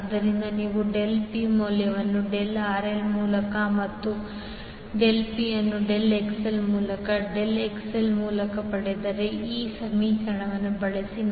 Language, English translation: Kannada, So, if you obtain the value of del P by del RL and del P by del XL using this equation